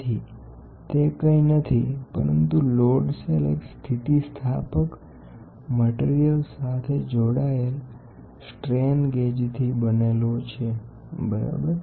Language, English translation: Gujarati, So, that is nothing but a load cell load cell is made up of bonding strain gauges to an elastic material, ok